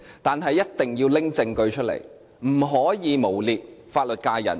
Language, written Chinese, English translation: Cantonese, 但是，一定要拿出證據，不可以誣衊法律界人士。, But Member should have evidence to support her accusation or she should not smear the legal sector